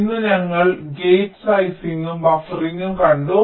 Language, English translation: Malayalam, today we have seen gate sizing and buffering